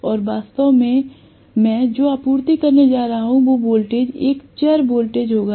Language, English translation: Hindi, And invariably what I am going to actually supply as the voltage will be a variable voltage